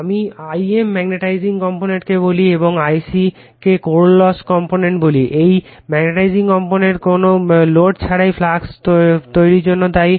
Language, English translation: Bengali, I m we call the magnetizing component and I c the core loss components this magnetizing component at no load is responsible for producing the flux